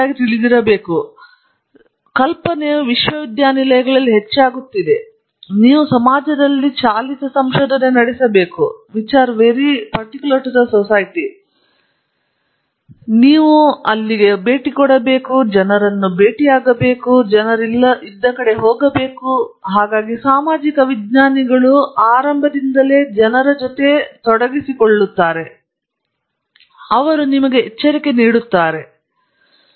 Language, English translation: Kannada, So, the idea is increasingly in universities that you should have a society driven research, where you should inform people about what you are working on, where it will go, so that social scientists are also involved right at the beginning and they warn you that this might lead to consequences